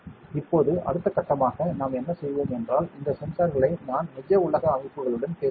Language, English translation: Tamil, Now, as to the next step what we will do is we will see these actually these sensors I have to talk to real world systems, right